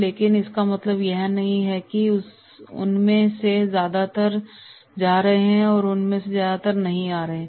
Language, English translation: Hindi, But it does not mean that is most of them are going, most of them are not coming